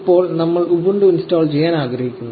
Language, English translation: Malayalam, Now, we want to install ubuntu